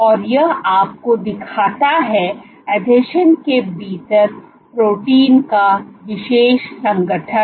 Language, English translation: Hindi, So, this shows you the organization, the special organization of proteins within the adhesions